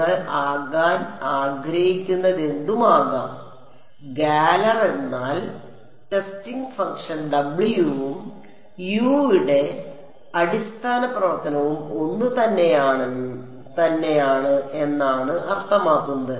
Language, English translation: Malayalam, It can be whatever you wanted to be I mean galler can simply means that the testing function W and the basis function for U is the same